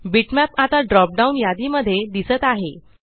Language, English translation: Marathi, The Bitmap now appears in the drop down list